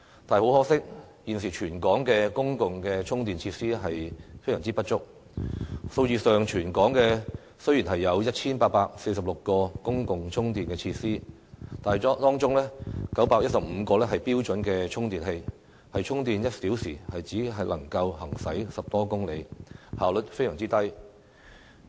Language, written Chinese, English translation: Cantonese, 但是，很可惜，現時全港的公共充電設施非常不足，在數字上，雖然全港有 1,846 個公共充電設施，但當中915個是標準充電器，充電1小時只能夠行駛10多公里，效率非常低。, Unfortunately the public charging facilities for EVs in Hong Kong are seriously inadequate . On the face of it there are 1 846 public charging facilities but 915 of them are standard charging stations which can only add a dozen kilometres of range in an hour of charging . Such efficiency is far from satisfactory